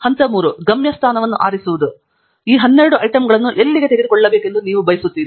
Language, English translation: Kannada, Step three is to select the destination where do you want to take these 12 items to